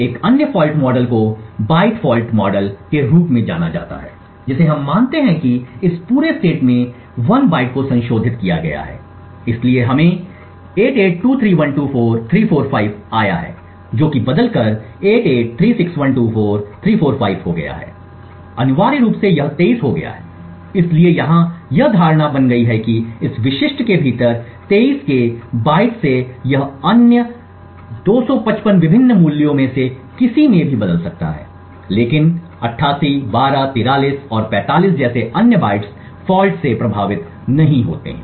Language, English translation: Hindi, Another fault model is known as the byte fault model here what we assume is that 1 byte in this entire state has been modified so we have like 8823124345 which has changed to 8836124345 essentially this 23 has become 36 so the assumption here is that within this specific byte of 23 it could change to any of the other 255 different values but the other bytes like 88 12 43 and 45 are not affected by the fault